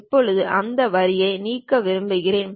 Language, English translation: Tamil, Now, I would like to delete this line